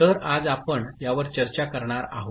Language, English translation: Marathi, So, this is what we are going to discuss today